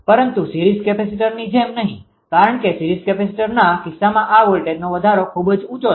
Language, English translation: Gujarati, But not like series capacitor because series capacitor case this voltage rise is very high right